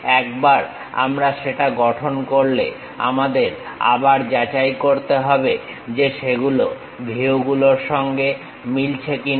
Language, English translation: Bengali, Once we construct that, we have to re verify it whether that is matching the views